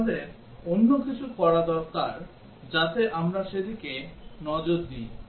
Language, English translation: Bengali, We need to do something else so that we will look at it